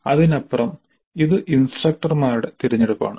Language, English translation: Malayalam, Beyond that it is instructor's choice